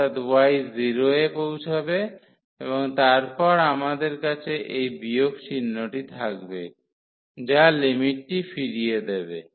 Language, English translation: Bengali, So, y will approach to 0 and then we have this minus sign so, which will revert the limits